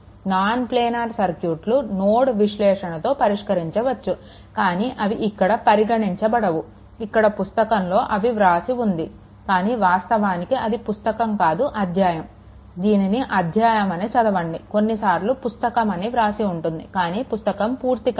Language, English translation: Telugu, So, non planar circuits can be handled using nodal analysis, but they will not be considered here, it is written book actually book is not written it is actually you read it as a chapter few places, few places you will get it is a book, but [laughter] book book is not there not completed right